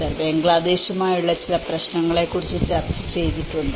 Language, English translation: Malayalam, Subhajyoti Samaddar have also discussed about some issues with Bangladesh